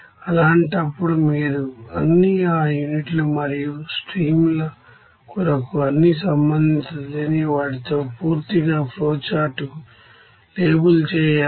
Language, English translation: Telugu, In that case also you have to label a flowchart completely with all the relevant unknowns for all units and streams